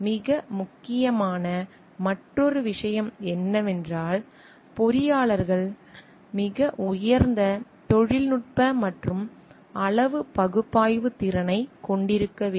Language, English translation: Tamil, Another thing which is very important is the engineers to have a very high technical and quantitative analysis skill